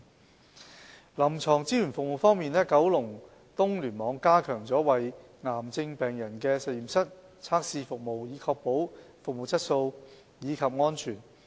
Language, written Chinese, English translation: Cantonese, 在臨床支援服務方面，九龍東聯網已加強為癌症病人提供的實驗室測試服務，以確保服務質素及安全。, On clinical support services KEC has enhanced the provision of laboratory testing services for cancer patients to ensure a quality and safety culture